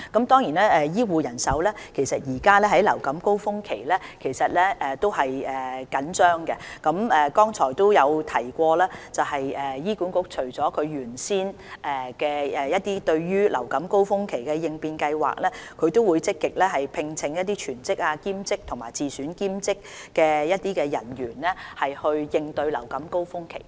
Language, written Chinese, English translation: Cantonese, 當然，目前是流感高峰期，醫護人手是緊張的，但我剛才也提及，醫管局除原先流感高峰期的應變計劃之外，也會積極聘請全職、兼職和自選兼職人員，應對流感高峰期。, Certainly during the seasonal influenza season the manpower of health care staff is tight . Yet as I mentioned earlier in addition to the contingency plan originally designated for dealing with the seasonal influenza season HA will vigorously recruit full - time part - time and locum heath care staff to cope with the seasonal influenza season